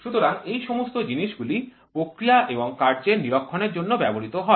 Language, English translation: Bengali, So, all these things are used for monitoring the process and operation